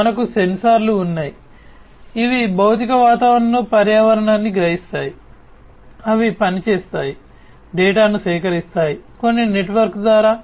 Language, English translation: Telugu, So, we have over here, we have sensors, which will sense the environment in the physical environment in which they operate, collect the data pass it, through some network